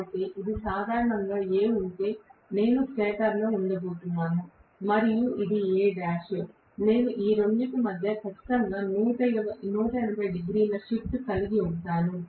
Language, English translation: Telugu, So, I am going to have normally in a stator if this is A and this is A dash I am going to have between these two I will have exactly 180 degree shift